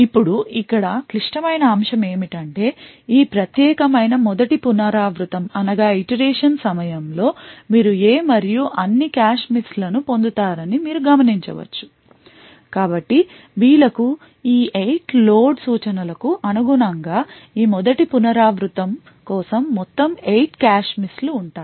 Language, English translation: Telugu, So, you notice that during the first iteration you would get all cache misses for A as well as B so in total for this first iteration corresponding to these 8 load instructions there will be a total of 8 cache misses